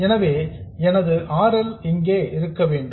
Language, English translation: Tamil, So, my RL has to be here